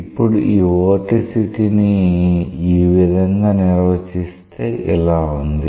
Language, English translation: Telugu, Now, this vorticity when it is defined in this way